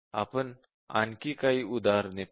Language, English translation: Marathi, Now, let us take some examples